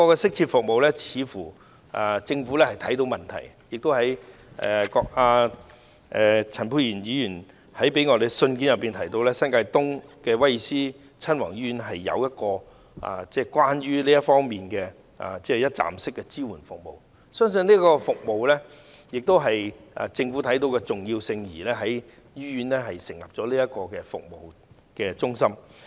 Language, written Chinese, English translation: Cantonese, 政府似乎亦看到有需要提供這方面的適切服務，陳沛然議員在給我們的信件中提到，新界東的威爾斯親王醫院有提供這方面的一站式支援服務，相信這正是政府看到其重要性而在醫院成立的服務支援中心。, According to Dr Pierre CHANs letter to us such one - stop support services are available at the Prince of Wales Hospital in New Territories East . I believe the Government recognizes the importance of such services and thus sets up a support service centre at the hospital